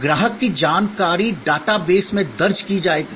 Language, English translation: Hindi, Customer information will be entered into the data base